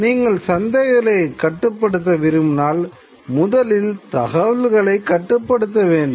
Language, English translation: Tamil, If you wanted to regulate the markets, you have to control the information